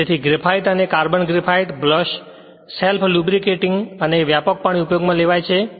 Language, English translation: Gujarati, Therefore graphite and carbon graphite brushes are self lubricating and widely used